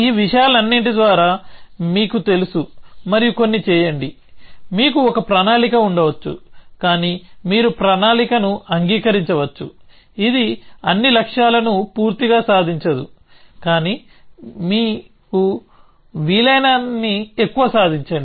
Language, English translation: Telugu, You know by all these stuffs and do some, you may have a plan, but you may accept the plan, which does not achieve all the goals completely, but achieve as many as possible